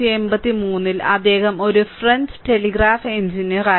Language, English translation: Malayalam, And in 1883, he was a French telegraph engineer